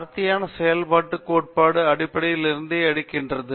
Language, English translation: Tamil, Density functional theory takes from the basis okay